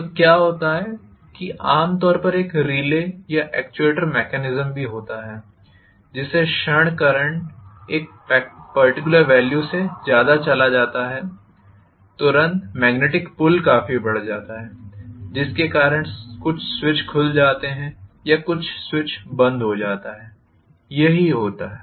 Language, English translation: Hindi, So what happens there is also generally a relay or actuator mechanism, the moment the current goes beyond a particular value immediately the magnetic pull becomes quite a lot because of which some switch is opened or some switch is closed, that is what happens